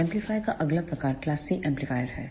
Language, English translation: Hindi, The next type of amplifier is the class C amplifier